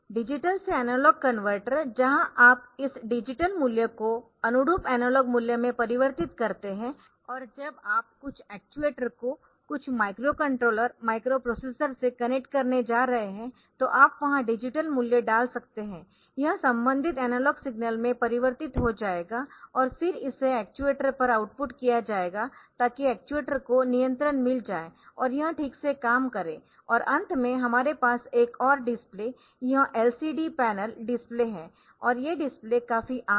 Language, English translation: Hindi, So, that you can connect some you can get some analog signals converted into digital value and stored inside the microprocessor controller or microprocessor, the digital to analog converter where you convert this digital value to corresponding analog value and when you are going to connect some actuator to some to some micro controller micro processor you can you can put the digital value there it will be converted there to the corresponding analog signal and then it is outputted to the actuator